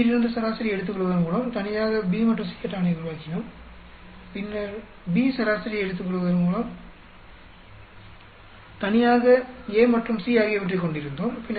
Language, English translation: Tamil, We had a, made a table of A and B alone by taking averages from C, and then later on we had A and C alone by taking averages of B